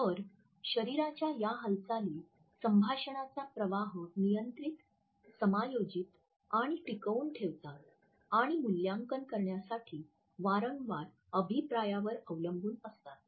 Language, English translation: Marathi, So, these are the body movements which control, adjust, and sustain the flow of a conversation and are frequently relied on to assess the feedback